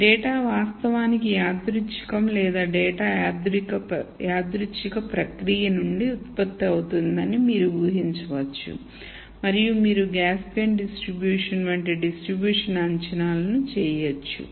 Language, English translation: Telugu, You could make the assumption that the data is actually random or data is generated from random process and you could make distribution assumptions such as it is Gaussian distribution and so on